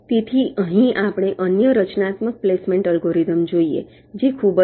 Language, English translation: Gujarati, so here we look at another constructive placement algorithm which is very simple